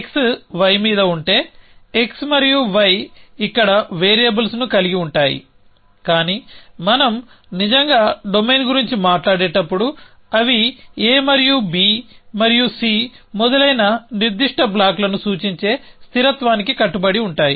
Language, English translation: Telugu, So, if x is on y so of x and y have variables here in the operate us, but when we actually talk about domain they will get bound to constance which stand for specific blocks like a and b and c and so on